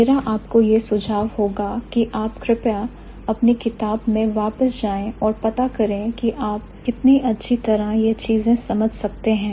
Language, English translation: Hindi, My suggestion for you would be please go back to the book and find out how well you can understand these things